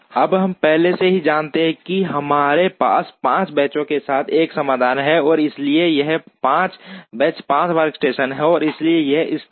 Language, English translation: Hindi, Then we already know that we have a solution with 5 benches, and therefore this is 5 benches are 5 workstations, and therefore this is optimum